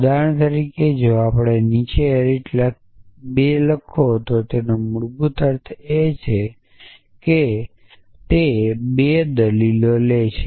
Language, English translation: Gujarati, For example, if we write arity 2 below plus it basically means it takes 2 arguments